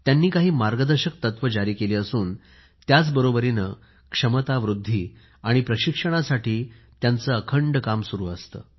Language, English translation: Marathi, They have issued guidelines; simultaneously they keep imparting training on a regular basis for capacity building